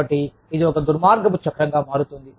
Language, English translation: Telugu, So, it becomes a vicious cycle